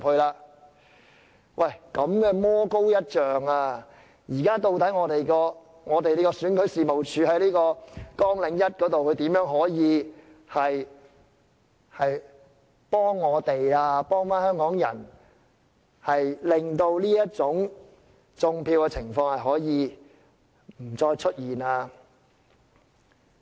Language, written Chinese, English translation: Cantonese, 如此的魔高一丈，究竟選舉事務處就其在綱領下所述的工作，如何可以幫助我們香港人，令"種票"的情況不再出現？, This is how the devil is ten times stronger and with regard to the duties set out by REO under Programme how can they help us Hongkongers to eliminate vote rigging?